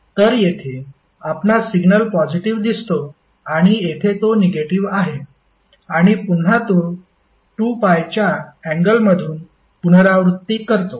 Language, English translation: Marathi, So, here you see the signal is positive and here it is negative and again it is repeating after the angle of 2 pi